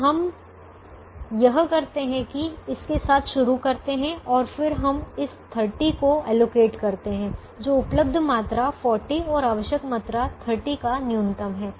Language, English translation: Hindi, so what we do is we start with this and then we allocate this thirty, which is the minimum of the available quantity forty and the required quantity thirty